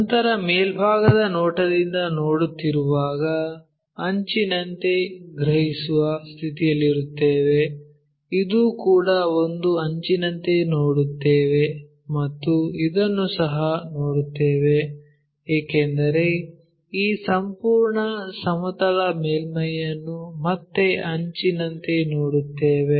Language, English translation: Kannada, Then when we are looking from top view this one we will be in a position to sense as an edge, this one also we will see as an edge and this one also we will see because this entire plane surface we will see again as an edge